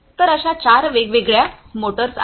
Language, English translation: Marathi, So, like this there are four different motors